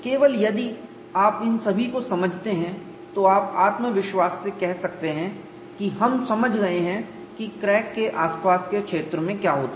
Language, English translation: Hindi, Only if you understand all of these, then you can confidently say we have understood what happens near the vicinity of the crack